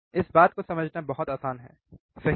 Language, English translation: Hindi, It is very easy to understand this thing, right